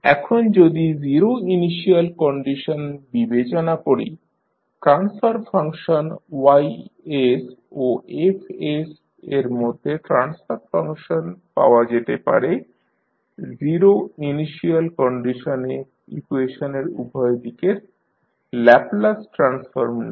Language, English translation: Bengali, Now, if you consider the zero initial conditions the transfer function that is between y s and f s can be obtained by taking the Laplace transform on both sides of the equation with zero initial conditions